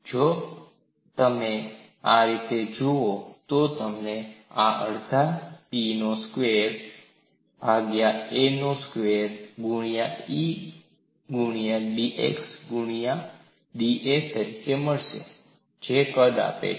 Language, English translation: Gujarati, So, if you look at in this fashion, you get this as one half of P squared by A squared E into d A into d x, that gives the volume, and this we usually do it for the slender member